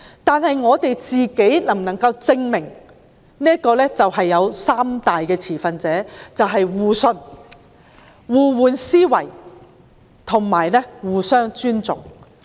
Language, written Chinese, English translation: Cantonese, 但是，我們能否證明自己能做到三大點，就是互信、互換思維及互相尊重？, However can we prove that we can achieve three major points namely mutual trust empathy and mutual respect?